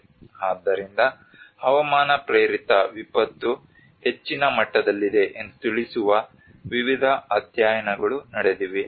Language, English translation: Kannada, So there have been various studies which actually address that climate induced disaster is on higher end